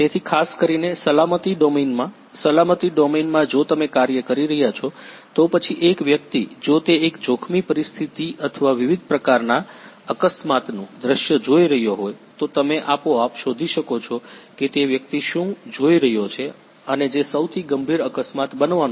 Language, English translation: Gujarati, So, particularly in a safety domain; safety domain if you are working, then one person if he is looking at one hazardous situation or different kinds of accident scenario, then you can automatically detect that what that person is looking at and which is the most high a severe accident that is going to occur